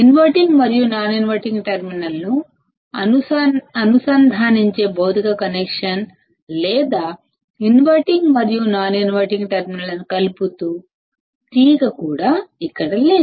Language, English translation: Telugu, There is no physical connection or wire here that is connecting the inverting and the non inverting terminal